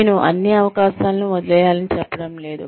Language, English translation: Telugu, I am not saying, let go of, all the opportunities